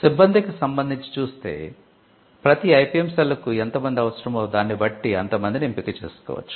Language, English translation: Telugu, Now they can with regard to staffing it is the matter of choice depending on how much people then the IPM cell needs